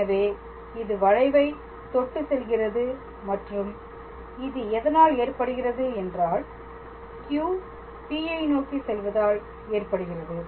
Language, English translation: Tamil, So, it will actually be touching the curve and that is that will happen when we are making Q going to P